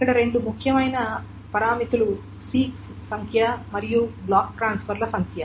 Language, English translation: Telugu, So, the two important parameters that are there is the number of six and the number of block transfer